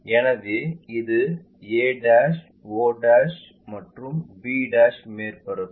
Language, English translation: Tamil, So, a' o' and b' surface